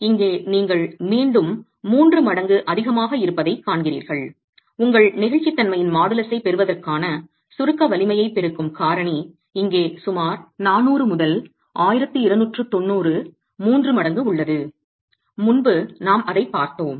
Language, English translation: Tamil, So here you see that again it's about three times where your factor, the multiplying factor to the compressive strength to get your modulus of velocity is about 400 to 2,290 three times